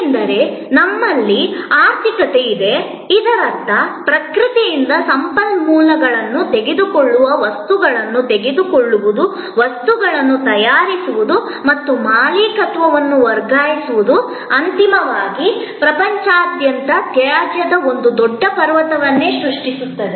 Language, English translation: Kannada, Because, otherwise we have an economy, which relies on taking stuff taking resources from nature, making things and transferring the ownership and ultimately all that is creating a huge mountain of waste around the world